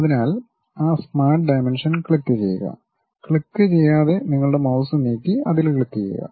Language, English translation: Malayalam, So, click that Smart Dimension click that, just move your mouse without any click then click that